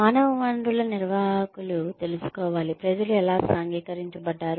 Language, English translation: Telugu, Human resources managers need to know, how people have been socialized